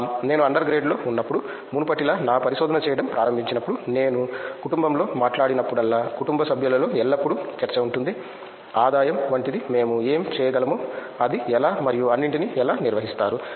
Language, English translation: Telugu, When I started doing my research like before when I was an under grade, seriously when whenever I talked in the family like, there will always be discussion in the family members like what we can do like something like income how do you manage it and all